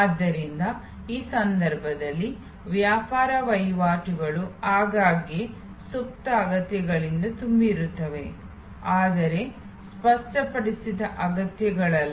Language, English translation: Kannada, So, in these cases the trade offs are often laden with latent needs, not articulated needs